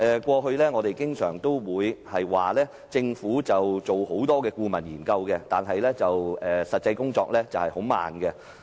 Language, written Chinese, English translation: Cantonese, 過去，我們經常說政府進行多項顧問研究，但實際工作卻很緩慢。, In the past we often criticized that Government for making slow progress despite a number of consultancy studies being conducted